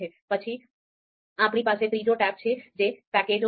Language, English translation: Gujarati, Then we have the third one third tab that is packages